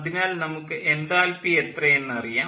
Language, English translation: Malayalam, so we know the enthalpy